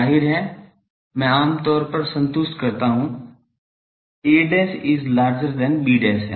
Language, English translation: Hindi, Obviously, if I satisfy generally a dashed is larger than b dash